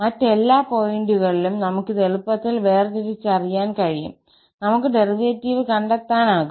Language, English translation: Malayalam, And at all other points, we can easily just differentiate this and we can find out the derivative